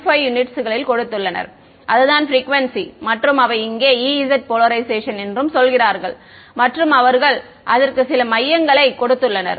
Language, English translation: Tamil, 15 that is the frequency and they are saying that is E z polarisation over here and they have given some centre for it ok